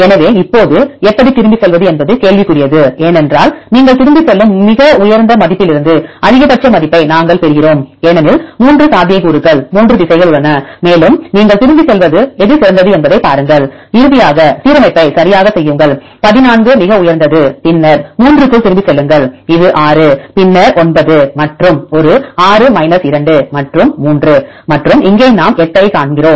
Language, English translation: Tamil, So, now the question is how to go back because we get the maximum value from the highest value you go back because there are 3 possibilities 3 directions and see which one is the best you go back and then finally, make the alignment right this is 14 is the highest one, then go back among the 3, this is the 6 and then this 9 and one 6 2 and 3 and here we see 8